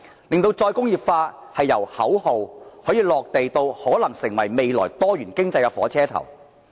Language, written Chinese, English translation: Cantonese, 如何令再工業化由口號"落地"至可能成為未來多元經濟的火車頭？, How is it going to turn the slogan of re - industrialization into practical action and even into a locomotive for a diversified economy in the future?